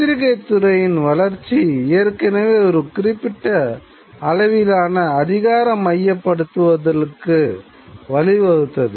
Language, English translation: Tamil, And the development of the press already leads to a certain degree of centralization of power